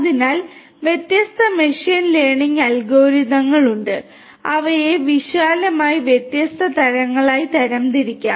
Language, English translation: Malayalam, So, there are different machine learning algorithms they can be classified broadly into different types